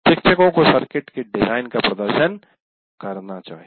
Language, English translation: Hindi, So, the teacher must demonstrate the design of a circuit